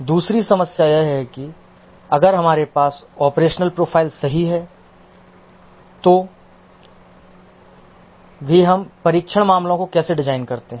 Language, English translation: Hindi, The second problem is that even if we have the operational profile correct, how do we design the test cases